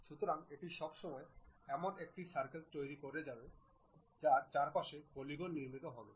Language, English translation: Bengali, So, it is all the time construct a circle around which on the periphery the polygon will be constructed